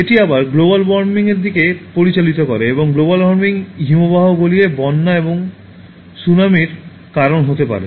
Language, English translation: Bengali, This again leads to Global Warming and Global Warming can cause floods and Tsunamis by making glaciers melt